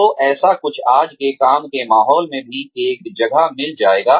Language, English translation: Hindi, So, something like that, would also find a niche, in today's work environments